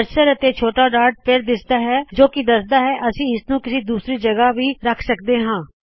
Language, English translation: Punjabi, The cursor and the small dot show up once again, suggesting that we can place it at some other location also